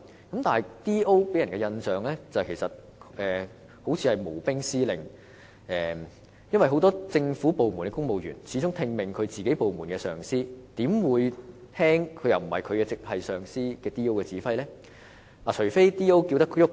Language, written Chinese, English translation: Cantonese, 不過 ，DO 給人的印象是"無兵司令"，因為很多政府部門的公務員始終只聽命於自己部門的上司，而因 DO 並不是他們的直屬上司，他們又怎會遵從 DO 的指揮呢？, However District Officers give people the impression that they are just commanders without soldiers . It is because the civil servants in many government departments just take orders from the superiors of their own department